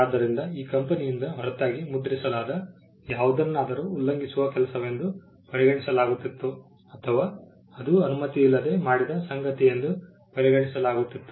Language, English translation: Kannada, So, anything that was printed other than by this company would be regarded as an infringing work or that will be regarded as something that was done without authorisation